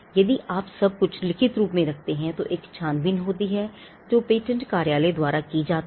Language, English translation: Hindi, If you put everything in writing, there is a scrutiny that is done by the patent office